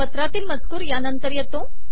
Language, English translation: Marathi, The text of the letter comes next